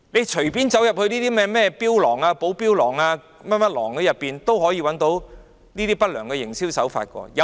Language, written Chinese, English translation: Cantonese, 隨便走進某間寶錶廊，看看有否出現不良營銷手法。, They can walk into the Basel Watch Gallery to see if any unscrupulous trade practices have been adopted